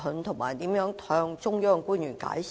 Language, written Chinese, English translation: Cantonese, 他會如何向中央官員解釋？, How will he explain it to the officials of the Central Authorities?